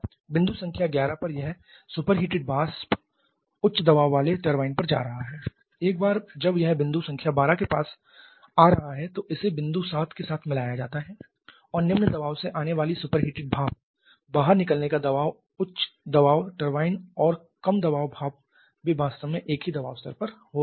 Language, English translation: Hindi, And then finally we have the super heating from 10 to 11 this superheated vapour at point number 11 is going to the high pressure turbine from there once it is coming back with point number 12 it is mixed with point 7 and the superheated steam coming from the coming the low pressure the exit pressure of the high pressure turbine and the low pressure steam they are having the same pressure levels actually